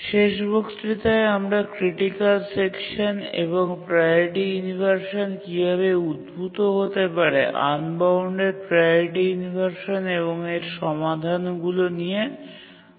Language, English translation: Bengali, Towards the end of the last lecture, we are discussing about a critical section and how a priority inversion can arise, unbounded priority inversions and what are the solutions